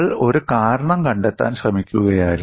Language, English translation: Malayalam, We were trying to find out a reason